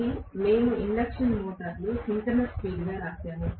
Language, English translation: Telugu, This we wrote as the synchronous speed in an induction motor